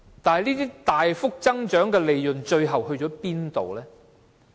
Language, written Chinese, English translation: Cantonese, 這些大幅增加的利潤最後到哪裏去？, May I ask the eventual whereabouts of the substantially increased profits?